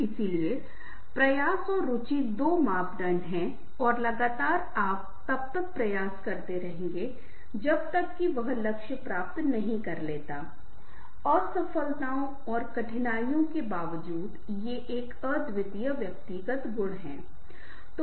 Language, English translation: Hindi, so effort and interest are two parameters and consistently you will put an effort till achieves the goal, despite the setbacks and hardships, is a unique personality trait